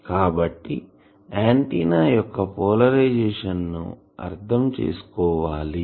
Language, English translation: Telugu, What is the meaning of polarisation of the antenna